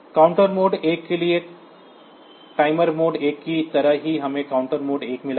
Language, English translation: Hindi, (Refer Slide Time: 20:24) for counter mode 1 just like timer mode 1 we have got counter mode 1